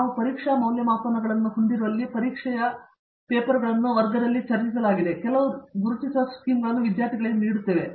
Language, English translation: Kannada, Where we have test evaluations the exam papers are discussed in class and some marking schemes are given to students